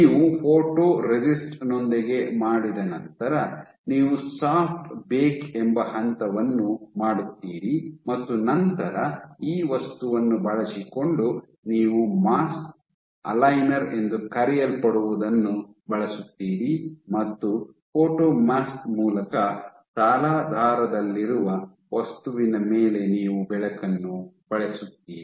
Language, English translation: Kannada, So, after you have done your photoresist, you do a step called soft bake and then using this material you use something called a mask aligner and you shine light onto your material on substrate through a photo mask